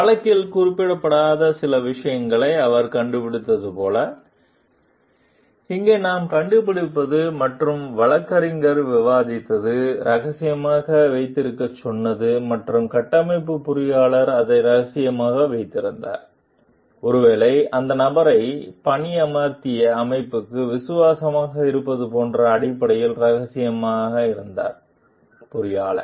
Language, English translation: Tamil, What we find over here like he discovered certain things which were not mentioned in the lawsuit and which the attorney discussed, told to keep secret and the structural engineer kept it secret, confidential based on like the maybe being loyal to the organization who has hired the person, the engineer